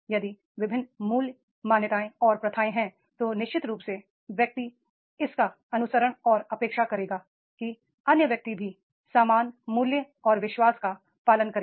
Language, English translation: Hindi, If different values, beliefs and practices are there then definitely the person will like to follow and expect that is the other person should also follow the same values and belief